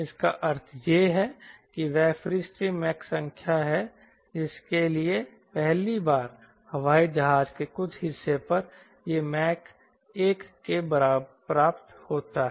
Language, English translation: Hindi, what is that free stream mach number for which, for the first time, some portion of the airplane, it achieves mach equal to one first time